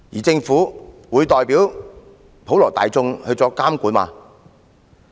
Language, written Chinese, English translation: Cantonese, 政府會代表普羅大眾作監管嗎？, Will the Government monitor MTRCL on behalf of the ordinary masses?